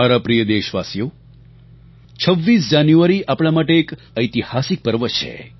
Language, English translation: Gujarati, My dear countrymen, 26th January is a historic festival for all of us